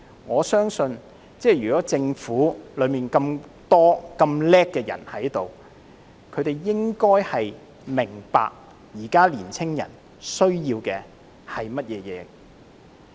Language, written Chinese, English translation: Cantonese, 我相信政府內有那麼多聰明能幹的人，應該明白現時年青人需要的是甚麼。, With so many smart and able persons under its employ I believe the Government should be able to figure out what young people need now